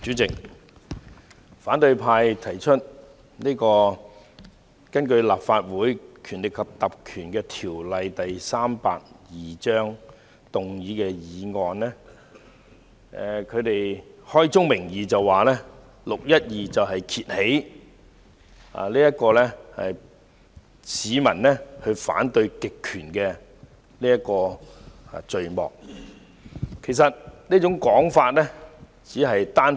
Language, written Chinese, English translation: Cantonese, 主席，反對派根據《立法會條例》動議的議案，開宗明義指"六一二"事件揭開市民反對極權的序幕，其實這是片面的說法。, President I oppose the motions proposed by opposition Members under the Legislative Council Ordinance Cap . 382 . These Members made it clear that the 12 June incident marks the beginning of the peoples opposition to an authoritarian regime which is indeed a biased statement